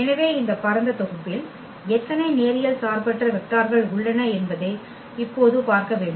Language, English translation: Tamil, So, we have to see now how many linearly independent vectors we have in this spanning set